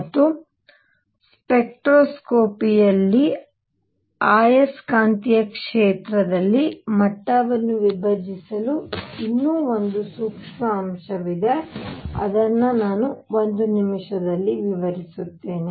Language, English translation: Kannada, And the spectroscopy there is one more subtle point for the splitting of levels in magnetic field which I will explain in a minute